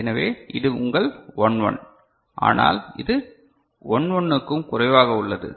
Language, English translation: Tamil, So, this is your 11, but it is less than 11